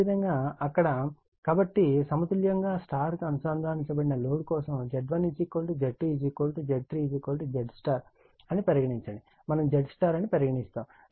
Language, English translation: Telugu, Similarly for here, so that means that for a balanced star connected load say Z 1 is equal to Z 2 is equal to Z 3 is equal to Z Y that is Z star right, we call Z Y